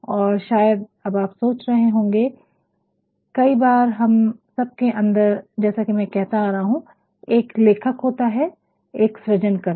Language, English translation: Hindi, Now, you might also be thinking because sometimesor the other within all of us as I have been saying there is a writer, there is a creator